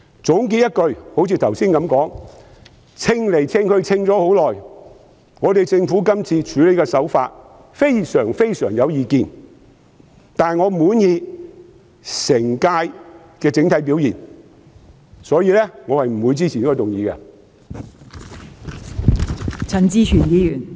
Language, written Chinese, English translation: Cantonese, 總結而言，正如我剛才所說，我衡量了很長時間，亦對政府這次的處理手法非常有意見，但我滿意本屆政府的整體表現，所以我不會支持這項議案。, In conclusion as I said earlier I have evaluated it for a long time and I take great exception to the handling approach of the Government . That said I will not support this motion as I am satisfied with the overall performance of the Government